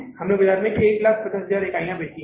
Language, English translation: Hindi, We have sold 1,000,000 units in the market